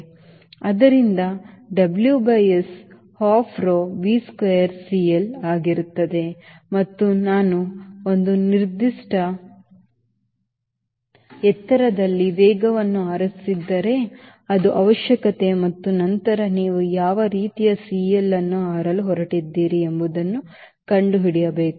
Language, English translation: Kannada, so w by s will be half rho v square c l and if we have chosen a speed at a given altitude, which is a requirement, and then you have to find out what sort of c